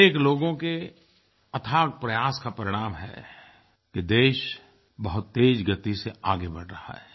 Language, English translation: Hindi, Due to tireless efforts of many people the nation is making rapid progress